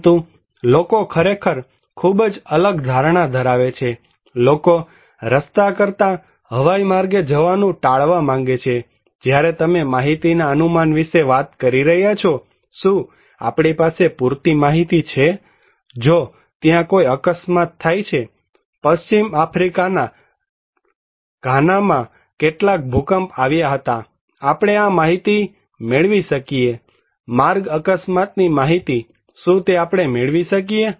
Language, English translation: Gujarati, But people have actually very different perceptions, people want to avoid by air than by road also, when you are talking about estimating data, do we have enough data; if there is some accident, some earthquake happened in Ghana in Western Africa, can we get this data; road accident data, can we get it